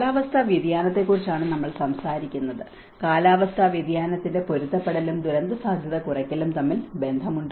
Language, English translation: Malayalam, We talk about the climate change, is there a relationship between climate change adaptation and the disaster risk reduction